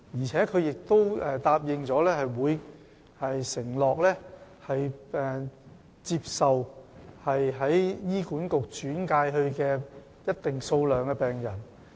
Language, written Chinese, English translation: Cantonese, 此外，中大醫院也承諾會接收由醫管局轉介的一定數目的病人。, In addition CUHKMC has also promised to accept a certain number of patients referred by HA